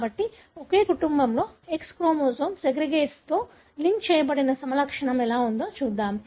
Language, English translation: Telugu, So, let’s look into how a phenotype linked to X chromosome segregates in a family